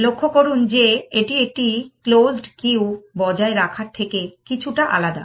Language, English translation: Bengali, Notice that, this is slightly different from maintaining a closed queue